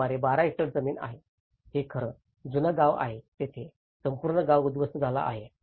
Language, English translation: Marathi, This is about a 12 hectare land; this is actually the old village where the whole village has got destroyed